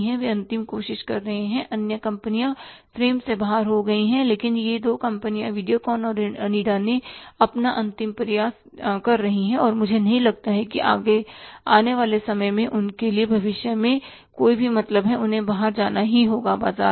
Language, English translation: Hindi, They are making last means other companies are gone out of the fray but these two companies, VDiocon and Onida they are making their last ditch effort and I don't see that there is a future for them means in the time to come they will have to go out of the market